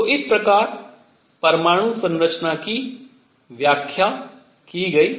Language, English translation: Hindi, So, this is how the atomic structure was explained